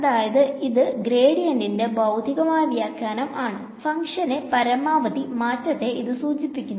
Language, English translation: Malayalam, So, this is a physical interpretation of gradient, it points in the direction of the maximum change of the function ok